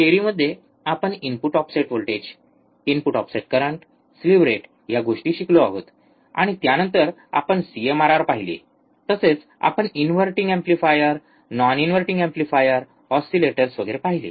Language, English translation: Marathi, So, this is the theory part we learn what are the things input offset voltage input offset current slew rate, and then we have seen CMRR, we have also seen inverting amplifier non inverting amplifier oscillators and so on so forth